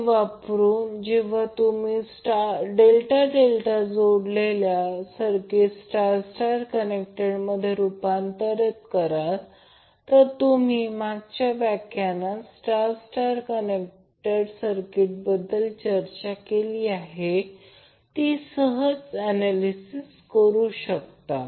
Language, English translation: Marathi, So using that when you convert delta delta connected circuit into star star connected circuit, you can simply analyze as we discuss in case of star star connected circuit in the last lecture